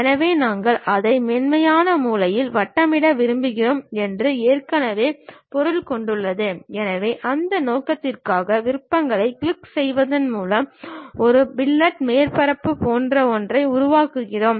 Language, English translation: Tamil, So, we have already object we want to really make it rounded smooth corner, so for the purpose we create something like a fillet surface by clicking the options